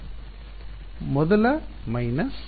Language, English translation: Kannada, The first minus